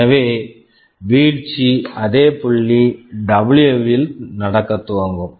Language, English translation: Tamil, So, the fall will start happening at the same point W